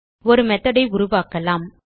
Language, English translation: Tamil, Now let us create a method